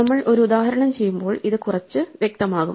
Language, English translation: Malayalam, So this will become a little clear when we work through an example